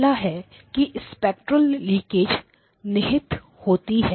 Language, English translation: Hindi, The first one is that there is inherent spectral leakage